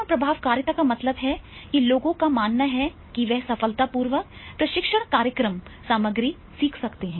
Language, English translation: Hindi, Self efficacy means people's belief that they can successfully learn the training program content